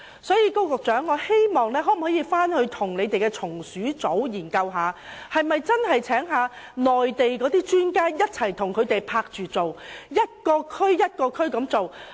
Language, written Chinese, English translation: Cantonese, 所以，我希望高局長與防治蟲鼠組研究邀請內地專家來港，在每一區共同進行滅鼠工作。, For this reason I hope that Secretary Dr KO and the Pest Control Teams will consider inviting Mainland experts to Hong Kong to conduct with concerted efforts rodent disinfestation operation in each district